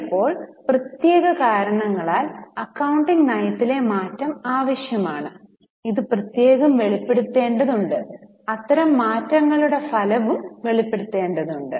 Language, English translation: Malayalam, If for some special reason the change in the accounting policy is necessary, it needs to be separately disclosed and the effect of such changes also required to be disclosed